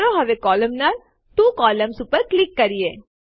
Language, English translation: Gujarati, Let us now click on the Columnar, two columns